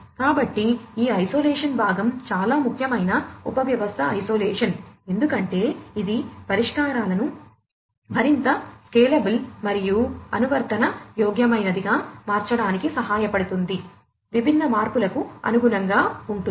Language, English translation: Telugu, So, this isolation part is very important subsystem isolation, because this will help in making the solutions much more scalable and adaptable, adaptable to what; adaptable to different changes